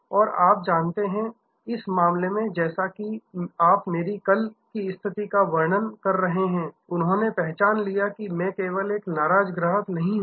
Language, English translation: Hindi, And you know, in this case as you are describing my yesterday situation, they recognized that I am not only just an angry customer